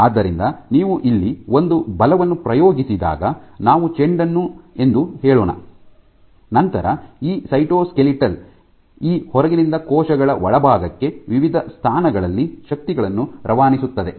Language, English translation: Kannada, So, when you exert a force here let us say the ball, you exert a force here then these the cytoskeletal actually links transmits the forces from this in outside to inside at different positions